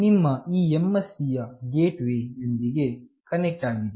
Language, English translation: Kannada, You this MSC is connected with the gateway